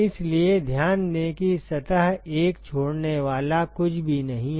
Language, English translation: Hindi, So, note that there is nothing that is leaving surface 1